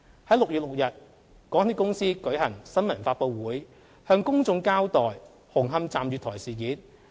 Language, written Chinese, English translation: Cantonese, 在6月6日，港鐵公司舉行新聞發布會，向公眾交代紅磡站月台事件。, On 6 June MTRCL held a press conference to give an account to the public of the incident of the platforms of Hung Hom Station